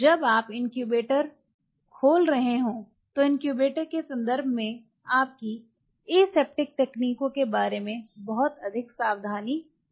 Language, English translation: Hindi, While your opening the incubator we very ultra careful about your aseptic techniques in terms of the incubator